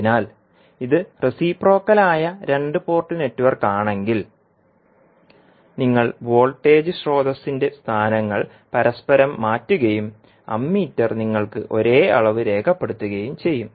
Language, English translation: Malayalam, So, if it is reciprocal two port network, then if you interchange the locations of voltage source and the ammeter will give you same reading